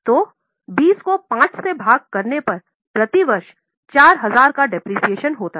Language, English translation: Hindi, So, 20 upon 5, that means 4,000 per annum is a depreciation